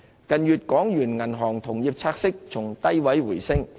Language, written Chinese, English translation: Cantonese, 港元銀行同業拆息近月從低位回升。, The Hong Kong Interbank Offered Rate rebounded from low levels in recent months